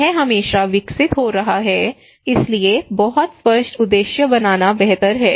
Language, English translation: Hindi, It is always evolving, so it is better to make a very clear objectives